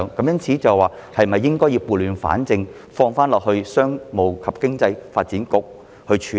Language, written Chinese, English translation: Cantonese, 因此，政府是否應該撥亂反正，交給商務及經濟發展局處理？, Therefore should the Government right wrongs by entrusting them to the Commerce and Economic Development Bureau CEDB?